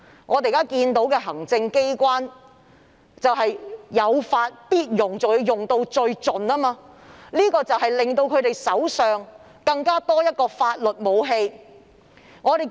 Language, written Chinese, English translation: Cantonese, 我們看到，行政機關有法必用，更用到最盡，令他們手上多了一種法律武器。, The Executive Authorities will certainly exploit the law to the fullest so that they will have an extra legal weapon in hand